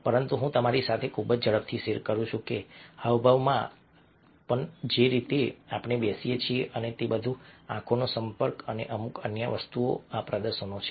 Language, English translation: Gujarati, but let me simply share very quickly with you that in gestures also, and the way we sit and all that eye contact and few are the things these displays are there